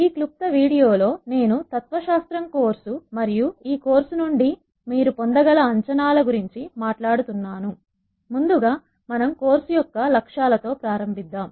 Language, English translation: Telugu, In this very brief video, I am going to talk about the course philosophy and the expectations that you could have from this course